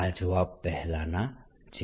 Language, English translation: Gujarati, same answer as earlier